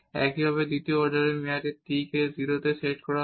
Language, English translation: Bengali, Similarly, for the second order term again t will be set to 0